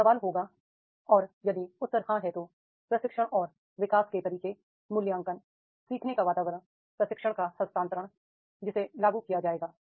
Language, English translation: Hindi, And if the answer is yes, then training and development methods, the evaluation, learning environment, transfer of training that will be implemented